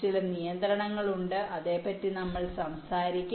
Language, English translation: Malayalam, there some constraints we shall we talking about